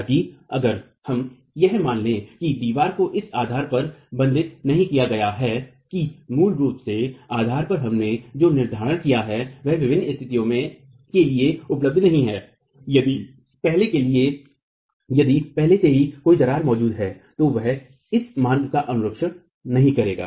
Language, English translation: Hindi, However, if we were to assume that the wall is not bonded at the base, that the fixity that we originally assumed at the base is not available for different conditions, if there is already a crack existing, then it will not follow this root